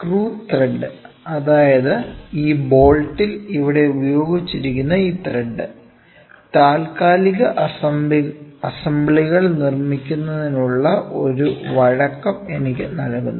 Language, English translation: Malayalam, Screw thread so, basically this thread which is used here in this bolt, this thread here, which is there this tries to give me a flexibility in making temporary assemblies